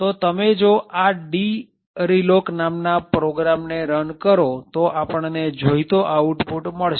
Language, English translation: Gujarati, So, if you run this program, the program is called dreloc then we would get expected output